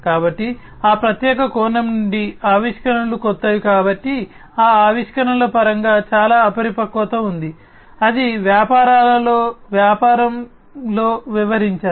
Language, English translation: Telugu, So, from that particular perspective, because the innovations are new, there is lot of immaturity in terms of innovation, that has to be dealt with in the businesses, in the business